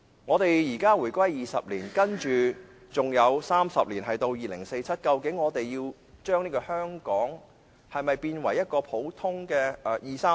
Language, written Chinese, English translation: Cantonese, 香港已回歸20年 ，30 年後便是2047年，我們是否要將香港變為內地一個普通的二三線城市？, Hong Kong has reunited with the Mainland for 20 years . Thirty years from now it will be 2047 . Are we going to turn Hong Kong into an ordinary second - and third - tier Mainland city by then?